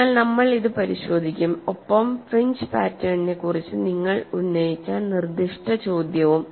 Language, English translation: Malayalam, So, we will look at that, as well as the specific question you raised regarding the fringe pattern